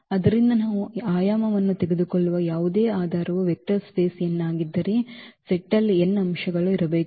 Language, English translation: Kannada, So, whatever basis we take the dimension is n of the vector space then there has to be n elements in the set